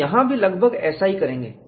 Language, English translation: Hindi, We will also do the same approximation here